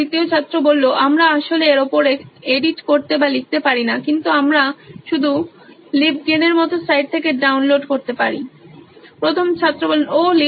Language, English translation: Bengali, We cannot actually edit or write on top of it but we can just download it from sites like LibGen